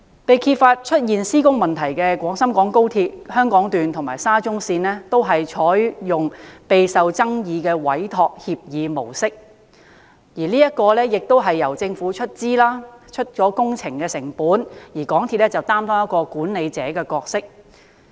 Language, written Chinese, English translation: Cantonese, 被揭發出現施工問題的廣深港高鐵香港段和沙中線，均採用備受爭議的委託協議模式，即由政府出資負責所有工程成本，而港鐵公司則擔當管理者的角色。, The Hong Kong Section of XRL and SCL on which construction blunders have been exposed are both implemented under an Entrustment Agreement . Under this much disputed arrangement the Government would bear all the construction costs while MTRCL is responsible for management